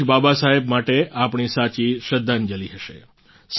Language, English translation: Gujarati, This shall be our true tribute to Baba Saheb